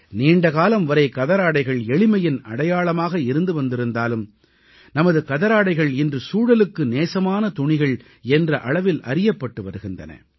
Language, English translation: Tamil, Khadi has remained a symbol of simplicity over a long period of time but now our khadi is getting known as an eco friendly fabric